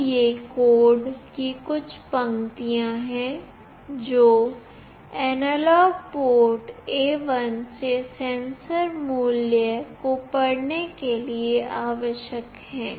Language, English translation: Hindi, So, these are the few lines of code that are required to read the sensor value from the analog port A1